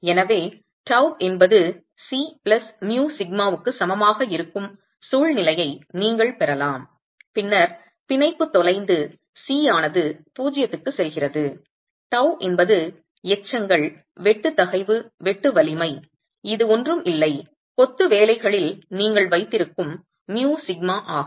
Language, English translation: Tamil, So, you could have a situation where tau is equal to C plus mu sigma initially, then the bond is lost, C goes to zero, tau is then the residual shear stress, shear strength that you have in the masonry is nothing but tau into mu sigma